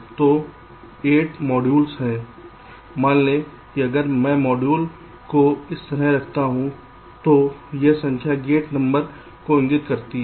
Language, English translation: Hindi, suppose if i place the modules like this, this numbers indicate the gate numbers